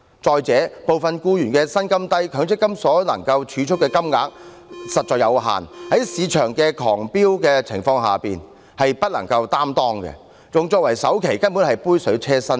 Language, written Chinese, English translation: Cantonese, 再者，部分僱員的薪金低，強積金所能儲蓄的金額實在有限，在樓價飆升的情況下，用作首期根本只是杯水車薪。, Furthermore as the salary of some employees is low their contribution to MPF is very limited . Under the circumstances of soaring property prices the amount of MPF funds they use for down payment is just a drop in the bucket